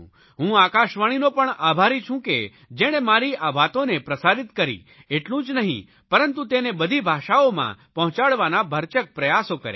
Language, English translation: Gujarati, I am grateful to All India Radio also which not only broadcast my views but also put in their best efforts to transmit it in all languages